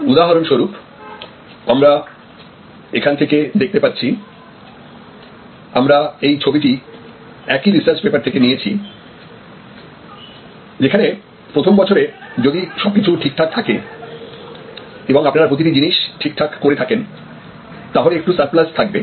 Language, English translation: Bengali, For example, as you can see here in this diagram, this is also reprinted from that same research paper that this is year one, where actually you just have, if you have done everything well then some small surplus